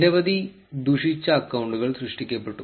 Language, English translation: Malayalam, Many malicious accounts were created